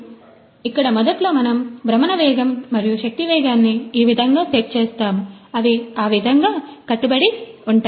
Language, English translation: Telugu, So, here initially we have set the rotational speed and power speed in such a way, that they are bound to get some